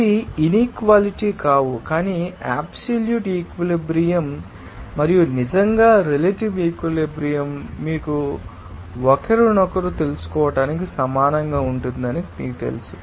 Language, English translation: Telugu, They are of course will not be inequality, but there will be simply you know that absolute saturation and really relative saturation will be equals to you know each other